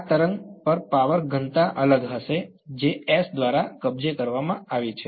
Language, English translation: Gujarati, Power density on this wave will be different that is captured by S